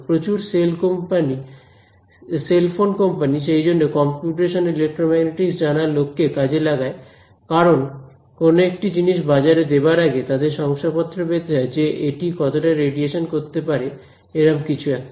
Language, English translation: Bengali, Lot of cell phone companies that is why employ computational EM people; because before they put a product in the market, they have to certify this produces so much radiation things like that